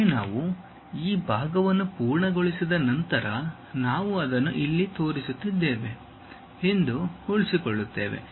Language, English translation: Kannada, Once we are done this part whatever we are going to retain that we are showing it here